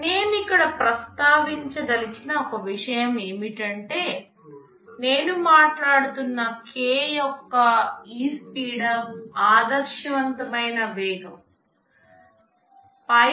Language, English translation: Telugu, Just one thing I want to mention here is that this speedup of k that I am talking about is an ideal speed up